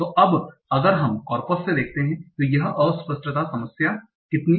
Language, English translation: Hindi, So now, let us see from the corpus how common is this ambiguity problem